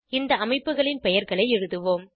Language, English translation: Tamil, Let us write the names of the structures